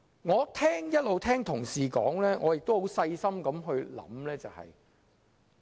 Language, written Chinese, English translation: Cantonese, 我一直聆聽同事的發言，亦有細心思考。, While listening to the speeches of Honourable colleagues I have also been thinking carefully